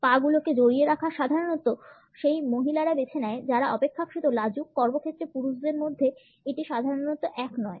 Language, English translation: Bengali, The leg twine is normally opted by those women who are relatively shy; amongst men it is normally not same in the workplace